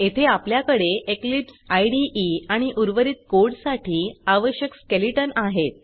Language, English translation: Marathi, Here We have Eclipse IDE and the skeleton required for the rest of the code